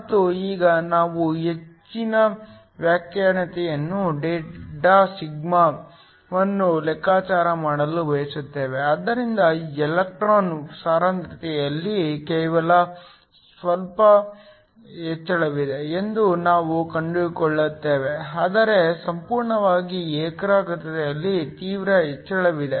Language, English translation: Kannada, And now, we want to calculate the excess conductivity delta sigma, so we find that there is only a small increase in the electron concentration, but there is drastic increase in the whole concentration